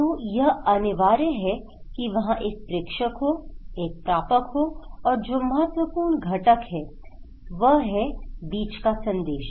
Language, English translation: Hindi, So, there should be one sender, one receiver and another important component is the message between